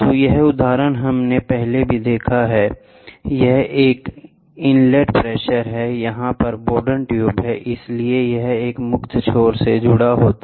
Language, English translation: Hindi, So, this example we saw earlier also so, this is an inlet pressure here is a Bourdon tube so, this, in turn, will be attached to a free this is a free end